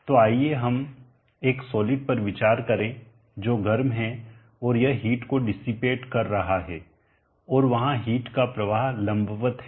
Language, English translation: Hindi, So let us consider a solid that is hot and it is dissipating heat and where is heat flow vertically up